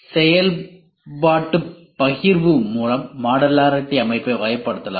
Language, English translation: Tamil, Modularity system can be characterized by functional partitioning